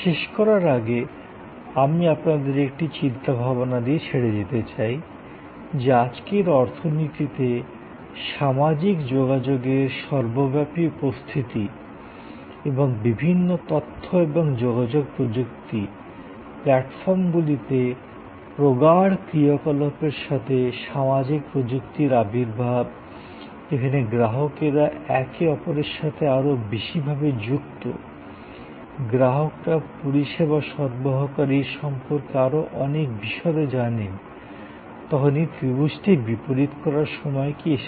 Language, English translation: Bengali, And in this, we have I would like to leave you with a thought, that whether in today's economy with an advent of social technologies with the ubiquitous presence of social media and intense activities on various information and communication technology platforms, where customers interact a lot more with each other, customers know lot more about the service provider whether a time has come to reverse this triangle